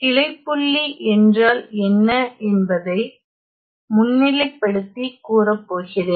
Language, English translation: Tamil, So, I am going to just give you a highlight of what is branch point